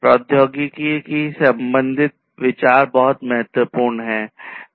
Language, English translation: Hindi, So, technology considerations are very important